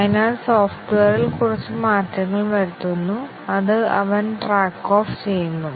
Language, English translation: Malayalam, So, makes a few changes in the software, which he keeps track off